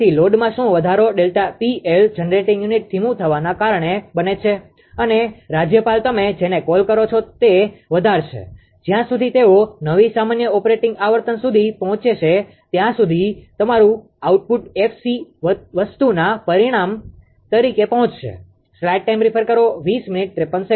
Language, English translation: Gujarati, So, what an increase in load delta P L causes the generating unit to slow down and the governor increase your what you call that your that in the case of your this thing the output until they reach a new common operating frequency that is f c